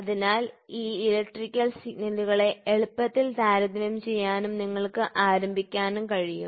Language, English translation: Malayalam, So, that these electrical signals can be compared easily and then you can start doing